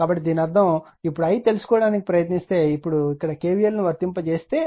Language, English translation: Telugu, So; that means, if you now try to find out i, then i that if you if you now not apply k v l here